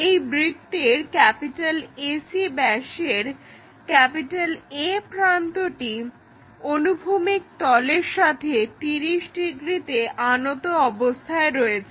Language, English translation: Bengali, This AC diameter is making 30 degrees angle with the horizontal plane